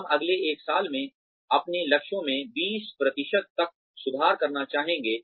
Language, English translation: Hindi, We would like to improve our targets, by 20% in the next one year